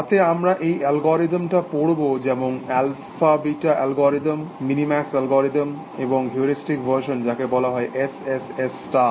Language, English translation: Bengali, In which we will study this algorithm like alphabeta algorithm, minimax algorithm, and a heuristic version called S S S star